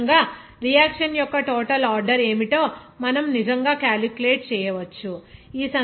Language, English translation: Telugu, So, in this way, we can actually calculate what should be the overall order of a reaction